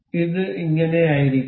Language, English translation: Malayalam, This is supposed to be like this